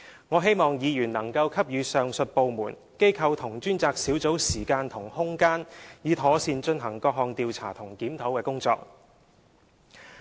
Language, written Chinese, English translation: Cantonese, 我希望議員能夠給予上述各部門、機構和專責小組時間和空間，以妥善進行各項調查和檢討工作。, I hope that Members can allow the above departments organizations and Task Force the time and room to carry out investigations and reviews properly